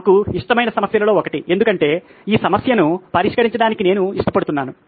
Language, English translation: Telugu, One of my favourite problems because I love to solve this problem